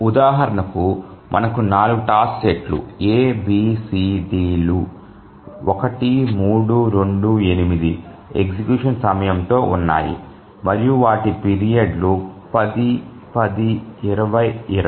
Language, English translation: Telugu, We have 4 task sets A, B, C, D with execution time of 1, 3, 2, 8 and their periods are 10, 10, 20, 20